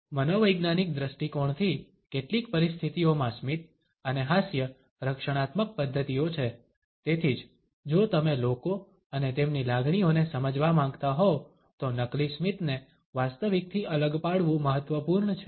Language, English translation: Gujarati, From a psychological point of view, in some situations smile and laughter are defensive mechanisms, it is why distinguishing a fake smile from a genuine one is important if you want to understand people and their emotions